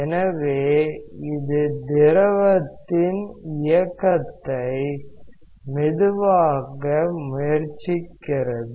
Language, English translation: Tamil, So, it tries to slow down the motion of the fluid